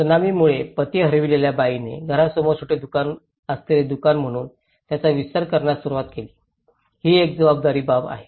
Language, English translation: Marathi, Woman, who lost their husbands in the tsunami, they started expanding as a shop having a small shop in front of the house, this is one of the important thing